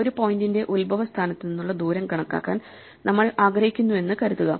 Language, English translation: Malayalam, So supposing we want to compute the distance of a point from the origin